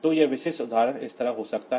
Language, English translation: Hindi, So, it is the typical example can be like this